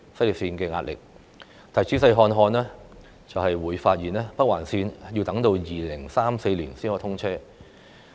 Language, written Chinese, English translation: Cantonese, 然而，若我們仔細看看有關時間表，就會發現北環綫工程要待2034年才通車。, Yet we take a careful look at the schedule and will find that the Northern Link will not be commissioned until 2034